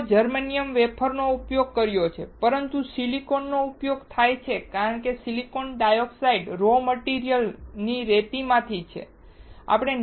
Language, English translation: Gujarati, People also have used germanium wafers, but silicon is used because silicon dioxide is from the raw material sand